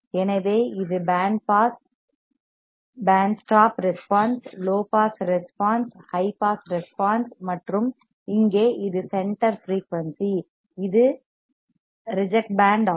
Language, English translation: Tamil, So, we see this is the band pass, band stop response, low pass response, high pass response and here this is center frequency, this will be the band which is rejected